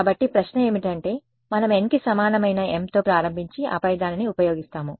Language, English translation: Telugu, So, the question is what we start with m equal to n and then use that